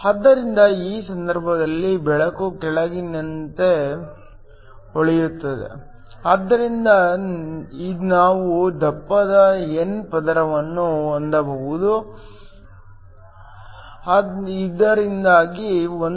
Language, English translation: Kannada, So, In this case light shines from below, so that you can have a thicker n layer, so that all the wavelength whose energy is below 1